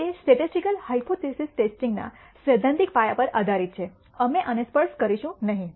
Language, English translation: Gujarati, That depends on the theoretical foundations of statistical hypothesis testing, we will not touch upon this